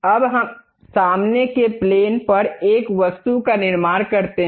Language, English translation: Hindi, Now, let us construct an object on the front plane